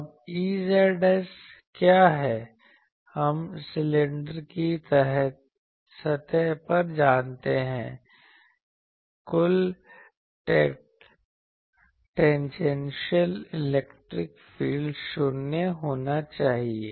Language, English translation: Hindi, Now, what is E z s, we know at the cylinder surface, the total tangential electric field should be 0